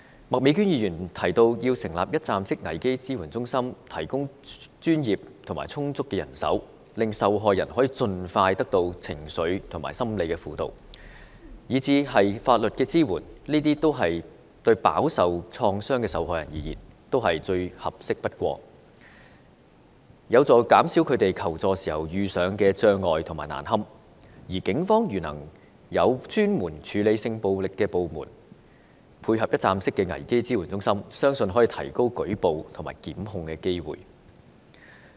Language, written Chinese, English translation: Cantonese, 麥美娟議員提到要成立一站式危機支援中心，提供專業和充足的人手，令受害人可盡快得到情緒和心理輔導，甚至法律支援，這對飽受創傷的受害人而言，都是最合適不過，有助減少他們求助時遇上障礙和感到難堪，如果警方能夠有專門處理性暴力的部門配合一站式危機支援中心，我相信可以提高舉報和檢控的機會。, Ms Alice MAK mentions the need to set up one - stop crisis support centres and provide professional and adequate manpower so as to enable victims to expeditiously access emotional and psychological counselling and legal advice . Her suggestions are the best means to help the traumatic victims to minimize the obstacles and embarrassment they may encounter when they seek help . If the Police can set up a dedicated department for sexual violence cases coupled with the one - stop crisis support centres I believe we can increase the number of reported cases and enhance the prosecution possibilities